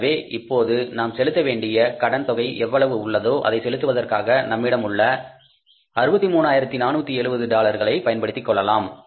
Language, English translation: Tamil, But we have this amount of $63,470 which we can utilize for making the payment of the balance of the loan